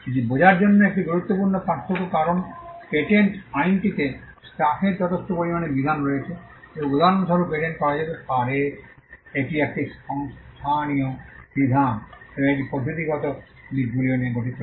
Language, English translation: Bengali, This is an important distinction to understand because patent law comprises of stuff substantive provisions for instance what can be patented is a substantive provision and it also comprises of procedural aspects